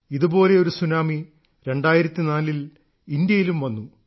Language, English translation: Malayalam, A similar tsunami had hit India in 2004